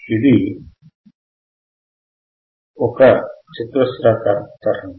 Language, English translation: Telugu, It is a square wave